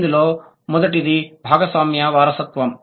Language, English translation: Telugu, The first one is shared inheritance